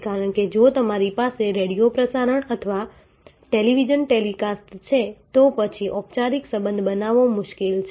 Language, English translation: Gujarati, Because, if you are having a radio broadcast or a television telecast, then it is difficult to create formal relationship